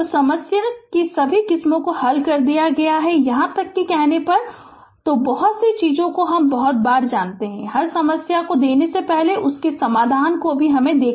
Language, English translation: Hindi, So, all varieties of problem have been solved for you even when telling you so, many thing sometimes you know I have to also every problem, before giving you the solution every time as if I am also solving for you right